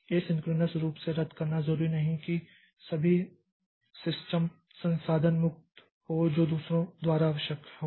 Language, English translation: Hindi, Cancelling a thread asynchronously does not necessarily free a system wide resource that is needed by others